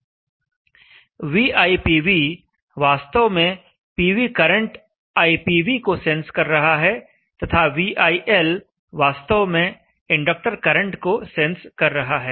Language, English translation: Hindi, So we ITV sensing actually the PV current IPV and VIL is actually sensing the inductor current